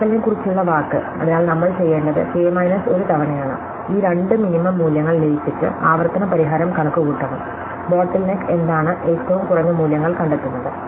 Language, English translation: Malayalam, A word about the implementation, so what we have to do is k minus 1 time, we have to merge this two minimum values and compute the recursive solution, bottle neck, is finding the minimum values